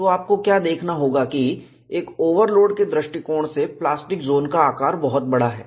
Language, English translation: Hindi, So, what you will have to look at is, in view of an overload, the plastic zone size is much larger